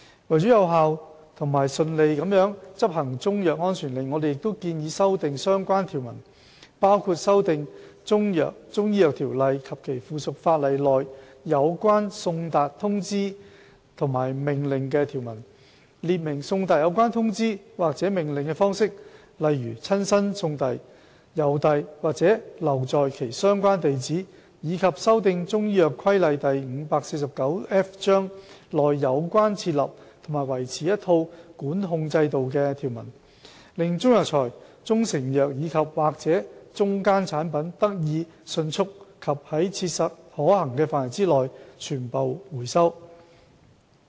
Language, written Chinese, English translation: Cantonese, 為有效和順利地執行中藥安全令，我們亦建議修訂相關條文，包括修訂《條例》及其附屬法例內有關送達通知和命令的條文，列明送達有關通知或命令的方式，例如親身送遞、郵遞或留在其相關地址，以及修訂《中藥規例》內有關設立和維持一套管控制度的條文，令中藥材、中成藥及/或中間產品得以迅速及在切實可行範圍內全部回收。, To enable effective and smooth enforcement of Chinese medicine safety orders we also propose to amend the relevant provisions including the amendment of provisions in the Ordinance and its subsidiary legislation on service of notices and orders such as by delivering them personally sending them by post and leaving them at the relevant address and the amendment of the provisions in the Chinese Medicines Regulation Cap . 549F on setting up and maintaining a system of recall in order to enable rapid and complete recall of as far as practicable any proprietary Chinese medicine or Chinese herbal medicine andor intermediate product